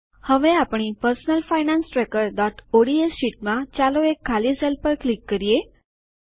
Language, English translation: Gujarati, Now in our personal finance tracker.ods sheet, let us click on a empty cell